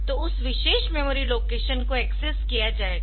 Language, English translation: Hindi, So, that particular memory location will be accessed